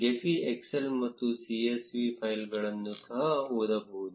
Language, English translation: Kannada, Gephi can also read excel and csv files